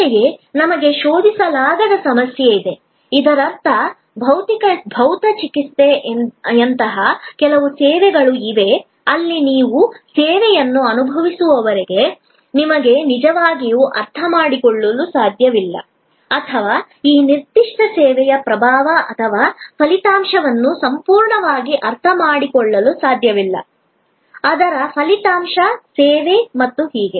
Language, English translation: Kannada, Similarly, we have the problem of non searchability, which means that there are some services say like physiotherapy, where till you experience the service, you really cannot comprehend or cannot fully realize the impact of that particular service or the result, the outcome of that service and so on